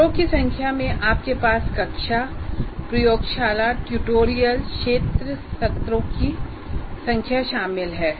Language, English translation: Hindi, And the number of sessions that you have for the number of class, laboratory, tutorial, field sessions, whatever you have